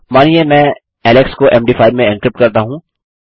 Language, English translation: Hindi, Lets say I encrypt alex to Md5